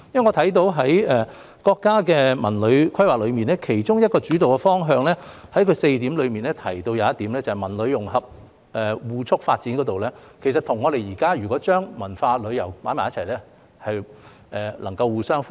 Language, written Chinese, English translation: Cantonese, 我看到在國家的《文旅規劃》4個規劃原則中，有一個提到"文旅融合互促發展"，如果我們現時把文化和旅遊放在一起，便可以與此互相呼應。, I can see that one of the four guiding principles in the countrys CTD Plan mentions the integration of culture and tourism to promote mutual development so our putting culture and tourism together now is consistent with this guiding principle